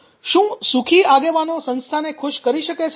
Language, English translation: Gujarati, can happy leader make people happy at the work place